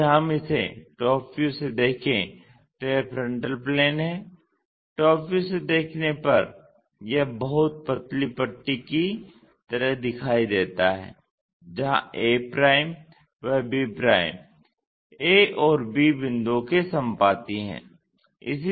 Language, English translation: Hindi, If we are looking from top view of this, this is the frontal plane from top view it looks like a very thin strip, where a b coincides to a and b points